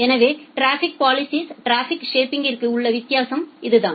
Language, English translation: Tamil, So, this is the difference between traffic policing and traffic shaping